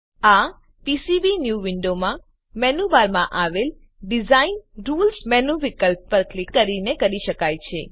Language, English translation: Gujarati, This can be done by clicking on Design Rules menu option in the menu bar of PCBnew window